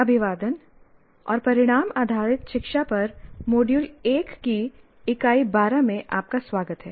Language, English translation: Hindi, Greetings and welcome to Unit 12 of Module 1 on Outcome Based Learning